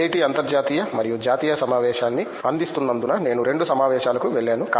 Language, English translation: Telugu, I have been to two conferences as IIT provides a international and a national conference